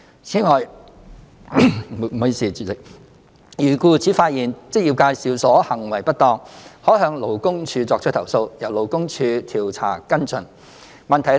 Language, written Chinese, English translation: Cantonese, 此外，如僱主發現職業介紹所行為不當，可向勞工處作出投訴，由勞工處調查跟進。, In addition if an employer has come across any malpractice of an EA heshe may file complaints with LD for investigation and follow up